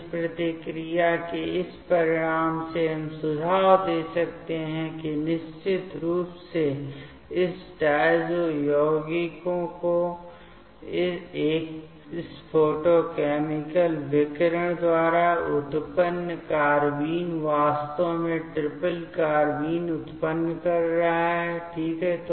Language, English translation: Hindi, So, from this outcome of this reactions, we can suggest that definitely the carbene that generated by this photochemical radiation of this diazo compounds is actually generating triplet carbene ok